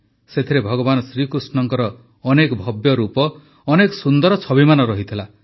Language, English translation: Odia, In this there were many forms and many magnificent pictures of Bhagwan Shri Krishna